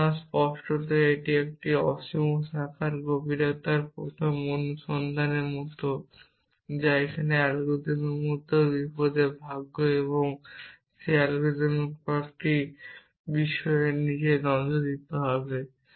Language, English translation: Bengali, So, obviously that is like depth first search going into an infinite branch that is danger lucks even in this algorithm here and we have to look at some of those algorithm issues